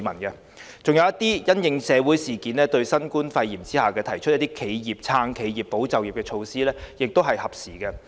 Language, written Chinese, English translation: Cantonese, 此外，一些因應社會事件和新冠肺炎提出的"撐企業、保就業"措施亦是合時的。, Besides the measures to support enterprises and safeguard jobs are also timely introduced in response to social incidents and the novel coronavirus outbreak